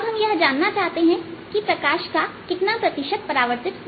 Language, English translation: Hindi, what about the how, what percentage of light is reflected